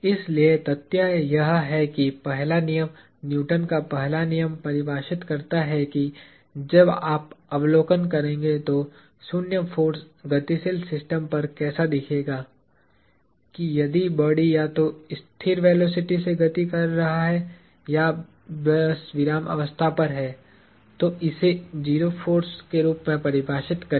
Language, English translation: Hindi, So, the fact that, the first law – Newton’s first law defines what zero force would look like when you make observations on a moving system; that, if the body is moving either with the constant velocity or is just simply at rest, then define that as 0 force